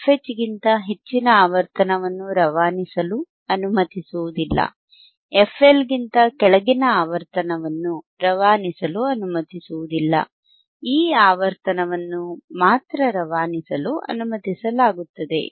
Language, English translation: Kannada, Frequency above thisfH will not be past 3 dB, not allowed to be pass, frequency below thisfL will not be allowed to be passed, only this frequency will be allowed to pass